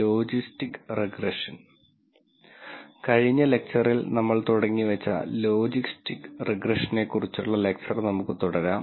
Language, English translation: Malayalam, We will continue our lecture on Logistic Regression that we introduced in the last lecture